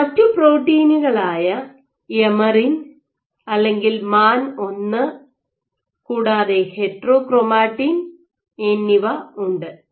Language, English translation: Malayalam, And that is where you have other proteins like emerin or MAN1 as well as heterochromatin